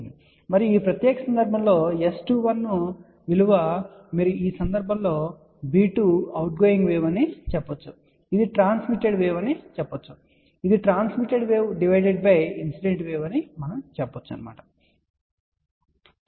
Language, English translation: Telugu, And in this particular case S 21 is you can say b 2 is the outgoing wave in this case we would say it is a transmitted wave divided by incident wave